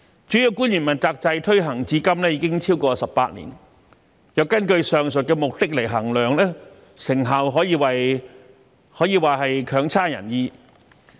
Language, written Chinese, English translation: Cantonese, 主要官員問責制推行至今已超過18年，若根據上述目的來衡量，成效可謂差強人意。, The accountability system for principal officials has been implemented for more than 18 years . If we are to evaluate it based on the aforesaid aims the result is hardly satisfactory